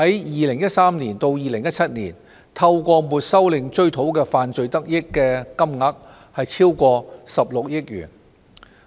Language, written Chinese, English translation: Cantonese, 2013年至2017年間，當局透過沒收令追討的犯罪得益金額超過16億元。, From 2013 to 2017 proceeds confiscated under confiscation orders amounted to over 1.6 billion